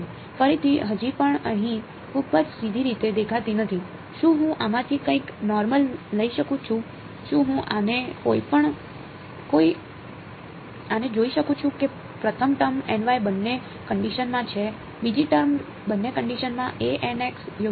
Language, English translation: Gujarati, Again still does not look very very straightforward over here, can I take something common from, can I looking at this the first term has a n y in both the terms, the second term has a n x in both the terms right